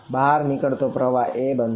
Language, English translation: Gujarati, So, outgoing flux becomes a